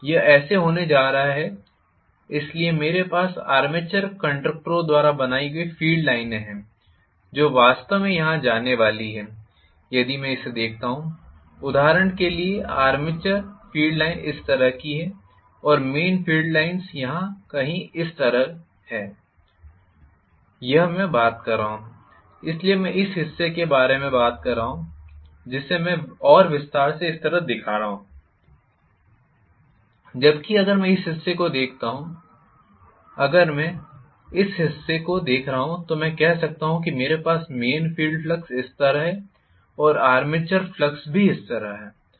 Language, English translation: Hindi, this is how those thing are going to be, so I am having the field lines created by the armature conductors which are actually going to be you know here if I look at it, for example, the armature field line is like this and main field line is somewhere here like this, this I am talking about, I am talking about this portion, so I am talking about this portion which I have enlarge and I am showing it like this